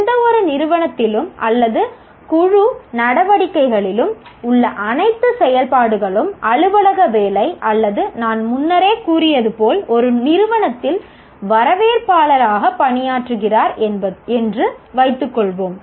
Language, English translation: Tamil, All activities in any organization or group activities, whether it is office work or as I said, one is working as a receptionist in an organization